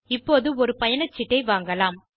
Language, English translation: Tamil, So let us buy a ticket now